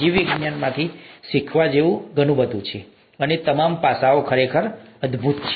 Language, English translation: Gujarati, There’s so much to learn from biology and all these aspects are really wonderful